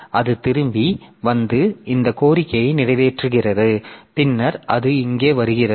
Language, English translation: Tamil, So, rather it comes back and it serves this request and then it comes here